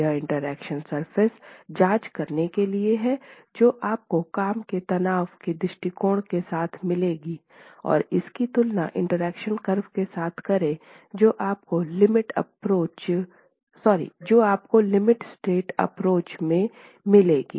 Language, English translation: Hindi, It is instructive to examine the interaction surface that you will get with the working stress approach and compare it to the interaction curve that you will get for the limit state approach